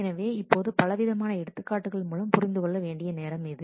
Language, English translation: Tamil, So now let us it is time for a number of examples to understand this better